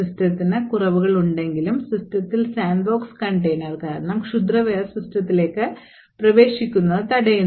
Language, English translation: Malayalam, Even though the system has flaws, malware is actually prevented from entering into the system due to the sandbox container that is present in the system